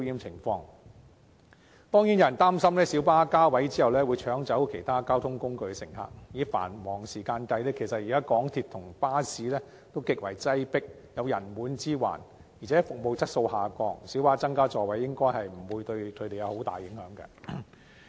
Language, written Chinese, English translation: Cantonese, 有人擔心小巴加位後會搶走其他交通工具的乘客，但現時在繁忙時段，港鐵和巴士均極為擠迫，有人滿之患，而且服務質素下降，小巴增加座位應不會對它們構成重大影響。, Some people are worried that PLBs will vie with other means of transport for passengers after the increase of the seating capacity . However given that presently the Mass Transit Railway and buses are very crowded during peak hours with deteriorating quality of service the increase of the seating capacity of PLBs should not affect them substantively